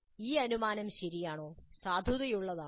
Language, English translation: Malayalam, Is this assumption valid